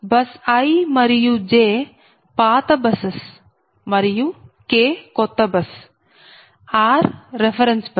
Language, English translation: Telugu, so i have told you that bus i and j, they are old buses, right, and k is a new bus and r is a reference bus